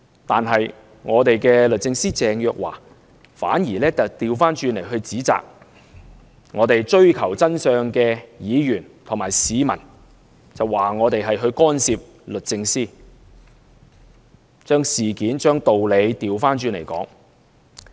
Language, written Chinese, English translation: Cantonese, 但是，我們的律政司司長鄭若驊，反而指責追求真相的議員和市民，說我們干涉律政司，將事件和道理倒過來說。, However our the Secretary for Justice Teresa CHENG in a reversal of fact and logic criticized those truth - seeking Members and people accusing them of interfering with DoJ